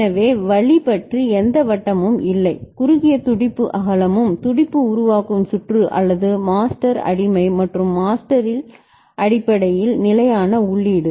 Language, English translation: Tamil, So, no round about way, no narrow pulse width and the pulse forming circuit or master slave and basically stable input at the master